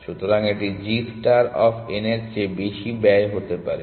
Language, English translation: Bengali, So, it could be cost greater than g star of n